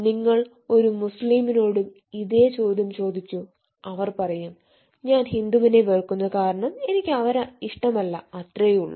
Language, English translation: Malayalam, you ask the same thing to muslim, they will say: i hate hindu peoples because because, no, i do not, i do not do not like them